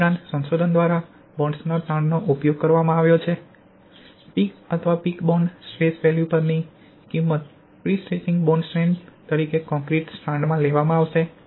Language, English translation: Gujarati, Also researches have used bonds stress value at the peak or peak bond stress value will be taken as bond strength of prestressing strand in the concrete